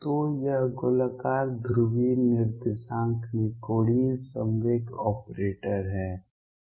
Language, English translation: Hindi, So, this is the angular momentum operator in spherical polar coordinates